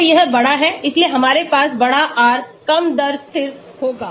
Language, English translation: Hindi, So larger it is, so we have larger the R lower will be the rate constant